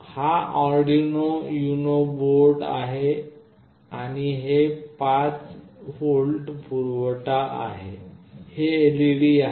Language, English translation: Marathi, This is the Arduino UNO board, and this is the 5V supply, and this is the LED